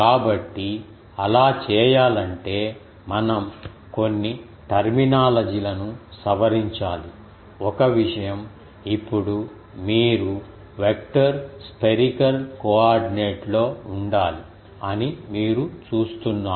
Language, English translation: Telugu, So, to do that we need to just modify our some terminology; one thing is now you see we will have to have in the vector spherical coordinate